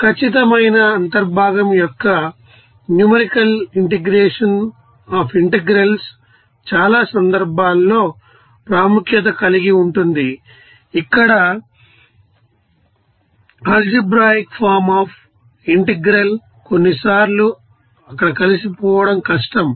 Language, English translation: Telugu, So, the numerical integration of the you know definite integrals, you know is of great importance in many cases where the algebraic form of integral is difficult to sometimes integrate there